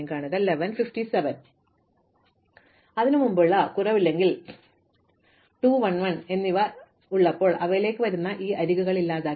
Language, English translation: Malayalam, So, recall that before that the indegrees were 2 1 and 1, now these edges which are coming into them have been deleted